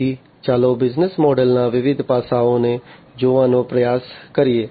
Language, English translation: Gujarati, So, let us try to look at the different aspects of the business model